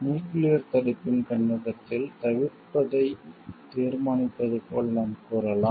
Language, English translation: Tamil, From the viewpoint of nuclear deterrence, we can tell like determines avoiding